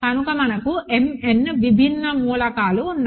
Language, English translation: Telugu, So, we do have m n distinct elements